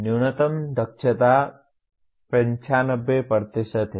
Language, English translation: Hindi, The minimum efficiency is 95%